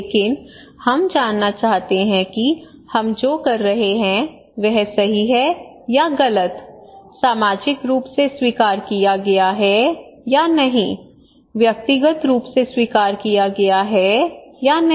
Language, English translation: Hindi, But we have another kind of mirror that we want to that what we are doing is right or wrong, socially accepted or not, individually accepted or not